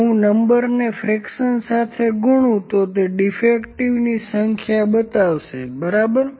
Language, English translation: Gujarati, If I multiply the number to the fraction it will show the number of defectives, ok